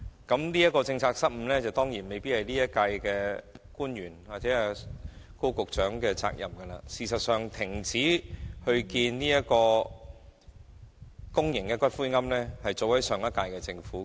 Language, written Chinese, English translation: Cantonese, 當然，有關政策失誤的責任未必在今屆政府官員或高局長，而事實上，停止興建公營骨灰安置所確是上屆政府的決定。, Surely government officials of the current - term Government including Secretary Dr KO might not be held accountable for these policy blunders because the decision to cease the building of public columbaria was actually made by the last - term Government